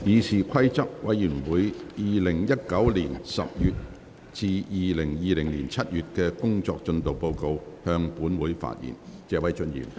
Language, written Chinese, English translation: Cantonese, 謝偉俊議員就"議事規則委員會2019年10月至2020年7月的工作進度報告"向本會發言。, Mr Paul TSE will address the Council on the Committee on Rules of Procedure Progress Report for the period October 2019 to July 2020